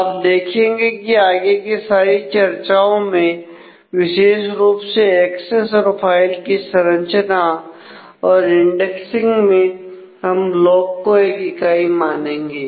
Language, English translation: Hindi, So, you will see that in all our subsequent discussions particularly with the access and the file organization and the indexing we will consider that a block is one unit